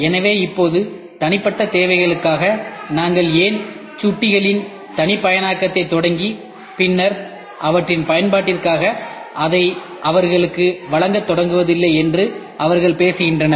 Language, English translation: Tamil, So now, they are talking about why do not we start customizing mousses for individual requirements and then start delivering it to their to them for their use